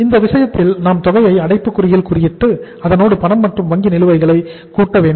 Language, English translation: Tamil, And in that case uh we have to close the bracket plus the amount of the cash and bank balances